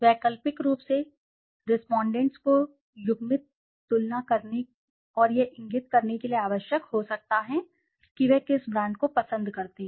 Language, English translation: Hindi, Alternatively respondents may be required to make paired comparisons and indicate which brand they prefer